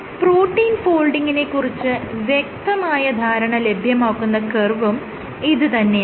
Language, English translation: Malayalam, So, this is the curve that you are interested in for getting insight into protein folding